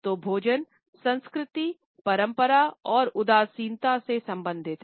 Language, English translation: Hindi, So, food as culture is related to tradition and nostalgia